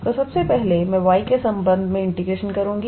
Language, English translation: Hindi, So, first of all, I will integrate with respect to y